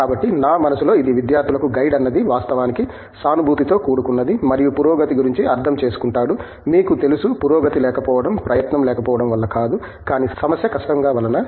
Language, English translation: Telugu, So, in my mind you know this gives students the feeling that the guide is actually sympathetic and understands that you know the progress, the lack of progress is not due to a lack of effort, but because the problem is simply difficult